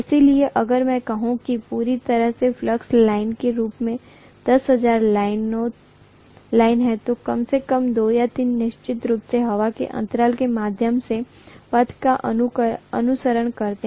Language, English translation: Hindi, So if I say totally 10,000 lines are there on the whole as flux lines, at least 2 or 3 can definitely be following the path through the air gap